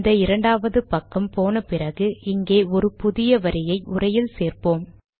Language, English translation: Tamil, Now what we will do is, we went to the second page, now lets add a line to the text